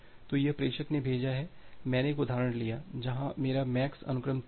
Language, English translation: Hindi, So, here the sender has sent so, I have taken an example where my MAX sequence is 3